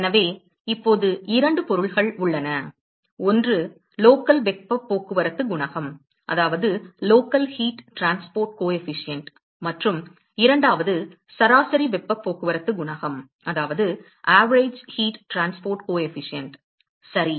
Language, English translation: Tamil, So, now, we said there are two objects one is the local heat transport coefficient and second one is the average heat transport coefficient ok